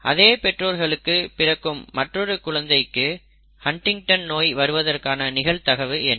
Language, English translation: Tamil, Same question if another child is born to the same parents what is the probability for HuntingtonÕs in that child, okay